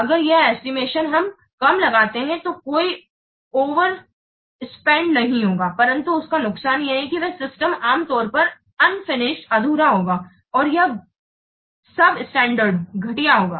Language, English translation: Hindi, So if you underestimate, the advantage is that there will be no overspend, but the disadvantage that the system will be usually unfinished and it will be substandard